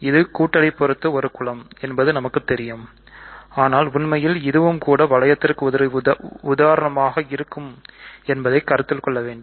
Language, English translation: Tamil, We know this as a group under addition, but in fact, it is also an example of what we want to consider as rings